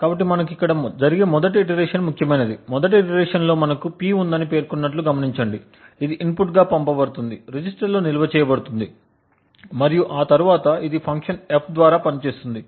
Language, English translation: Telugu, So what we are interested in is the first iteration that occurs, note that we had mentioned that in the first iteration we have P which is sent as an input which gets stored in the register and then this gets operated on by this function F